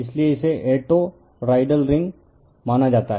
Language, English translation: Hindi, So, it is consider a toroidal ring